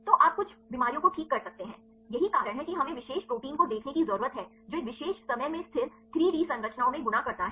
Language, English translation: Hindi, So, you can get some diseases right this is the reason why we need to see the particular protein which folds into a particular a time into stable 3D structures